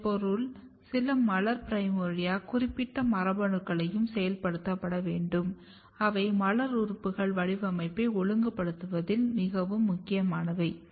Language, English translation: Tamil, And how it will become floral primordia which means that it has to activate some floral primordia specific genes and some of the genes which are very important in regulating the floral organ patterning